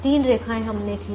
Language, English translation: Hindi, we then row these lines, three lines we drew and the